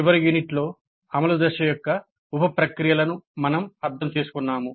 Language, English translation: Telugu, In the last unit we understood the sub processes of implement phase